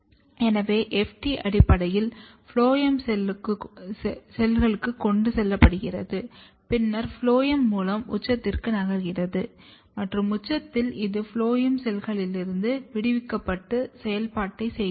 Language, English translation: Tamil, So, it has been shown that FT is basically transported or loaded to the phloem cells, then the through phloem, it is basically moving to the apex; and in apex, it is getting released from the phloem cells and performing the functions